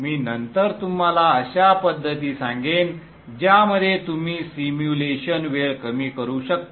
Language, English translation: Marathi, I will later on tell you methods in which you can reduce the simulation time